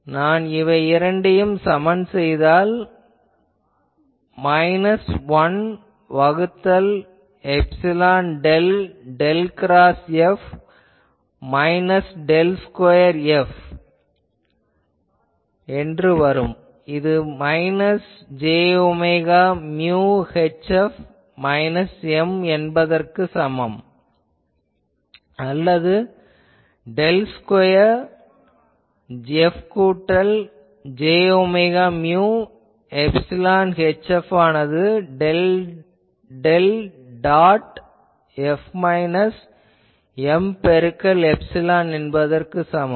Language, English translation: Tamil, So, I can equate these two and that gives me minus 1 by epsilon del del cross F minus del square F is equal to minus j omega mu H F minus M or from here I can write, del square F plus j omega mu epsilon H F is equal to del del dot F minus M into epsilon